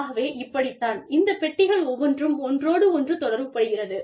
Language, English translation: Tamil, So, this is how, these boxes are related to each other